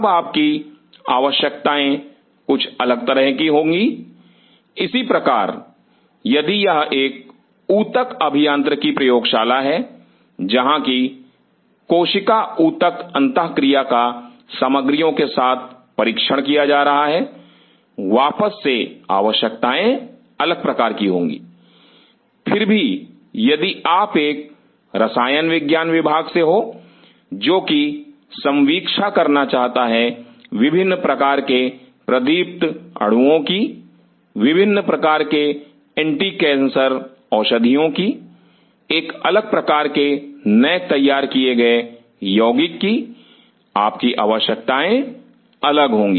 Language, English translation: Hindi, Then your requirements will be kind of different, similarly if it is a tissue engineering lab where cell tissue interaction with the materials are being tested, again the requirements will be of different type yet if you are a chemistry department which wants to a nurse cream different kind of fluorescent molecule, different kind of anti cancer drugs, a different kind of newly formulated compounds your requirements will be different